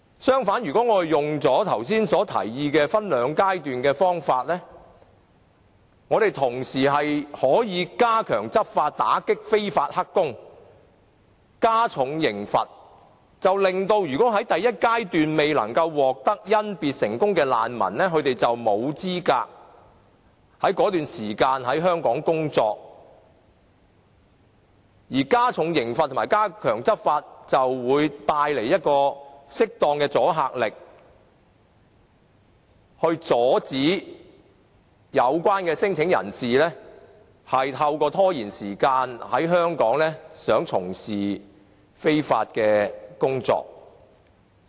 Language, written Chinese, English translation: Cantonese, 相反，如果用剛才所提議分兩階段的方法，我們可以同時加強執法、打擊非法"黑工"、加重刑罰，令到在第一階段未能夠獲得甄別成功的難民在那段時間沒有資格在香港工作；而加重刑罰及加強執法就會帶來適當的阻嚇力，阻止有關的聲請人士想透過拖延時間在香港從事非法工作。, On the contrary if we adopt the proposed two - stage mode then we can step up the enforcement action against illegal workers and increase the penalty so that those claimants who fail to pass the initial stage of screening will not be eligible to work in Hong Kong during that time period . Besides the increase of penalty and the stepping up of enforcement will enhance the deterrent effect which will deter claimants from engaging in illegal work by delaying the screening process